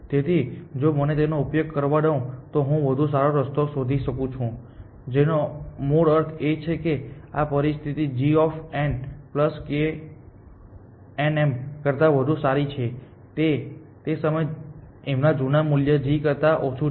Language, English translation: Gujarati, So, if let me use this if better path found which basically means this condition g of n plus k of n m is better is less than g of the old value of m then